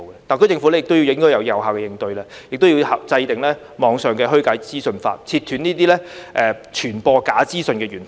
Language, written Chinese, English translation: Cantonese, 特區政府亦應該有效應對，制訂網上虛假資訊法，切斷傳播假資訊的源頭。, The SAR Government should also respond effectively by enacting laws against online disinformation in order to cut off the sources of spreading false information